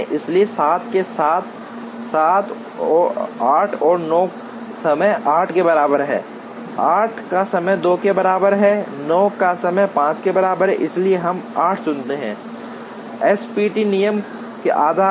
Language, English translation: Hindi, So, 7, 8 and 9 with 7 has time equal to 8, 8 has time equal to 2, 9 has time equal to 5, so we choose 8 based on SPT rule